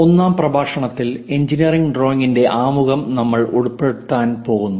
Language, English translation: Malayalam, In the 1st lecture, we are going to cover introduction to engineering drawing